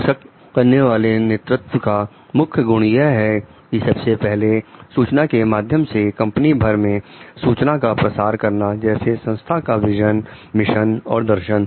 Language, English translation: Hindi, The key characteristics of empowering leaders are a first is informing means like disseminating of information company wide such as the organizations vision, mission and philosophy